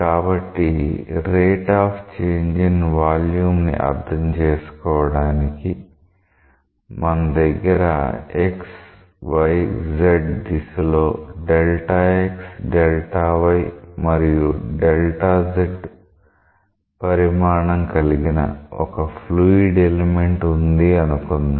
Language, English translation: Telugu, So, to understand that what is the rate of change in the volume, let us say that we are having this fluid element which has dimensions along x y z as delta x delta y and delta z